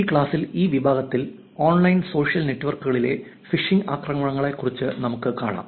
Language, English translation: Malayalam, In this class, in this section what will see is, we will see about Phishing Attacks in online social networks